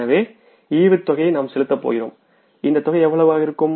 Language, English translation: Tamil, So, we are going to pay this dividend also